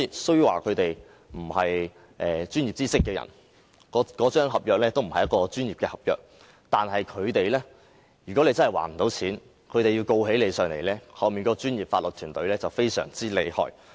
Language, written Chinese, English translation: Cantonese, 雖然他們並非擁有專業知識的人，而那份合約亦不是專業合約，但如果借款人真的無法還款，他們要控告借款人的話，其背後的專業法律團隊卻非常厲害。, They were not people with professional knowledge and that contract was not a professional contract but behind them they had an awesome team of legal professionals to sue the borrower if the latter really failed to make repayment